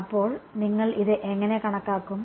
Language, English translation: Malayalam, So, how do you calculate this